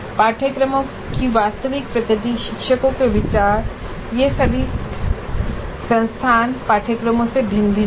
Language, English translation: Hindi, The actual nature of the courses, views by teachers, they all vary across the institute courses